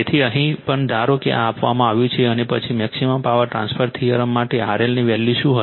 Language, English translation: Gujarati, So, here also suppose this is given and then what will be your value of R L for the maximum power transfer theorem right